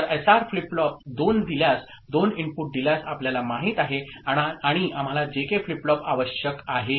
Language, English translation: Marathi, So, given a SR flip flop two you know two input and we require a JK flip flop